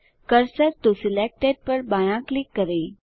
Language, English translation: Hindi, Left click cursor to selected